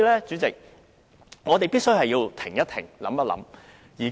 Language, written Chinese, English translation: Cantonese, 主席，我們必須停一停、想一想。, President we must pause for a while and think